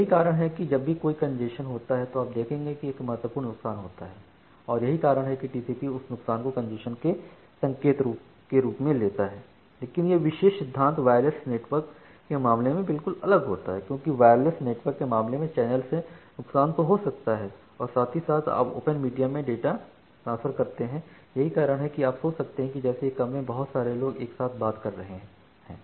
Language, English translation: Hindi, So, that is why whenever there is a congestion you will see there is a significant loss, and that is why TCP takes that loss as an indication of congestion, but this particular principle does not hold the exactly in case of wireless network, because in case of wireless network there can be loss from the channel as well like you are transferring data in a open media and that is why you can just think of that lots of people are talking together in a single room